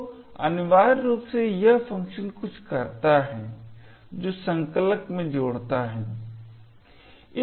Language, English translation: Hindi, This function is something which the compiler adds in